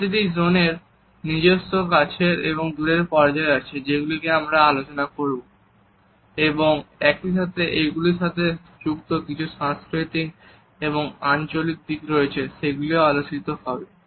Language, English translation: Bengali, Each zone has it is own close and far phases which we shall discuss and at the same time there are cultural and locational aspects related with them, which will also be discussed